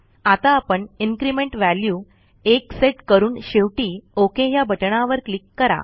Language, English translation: Marathi, Now we set the Increment value as 1 and finally click on the OK button